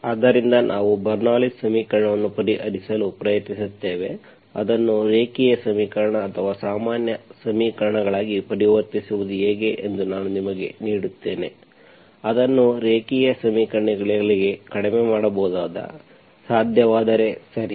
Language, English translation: Kannada, So we will try to solve the Bernoulli s equation, I will give you how to convert that into a linear equation or general equations that can be reduced to linear equations, if, possible, okay